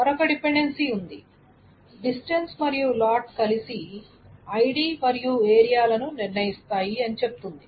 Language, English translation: Telugu, However, there was another dependency which was saying distance and lot together determines ID and area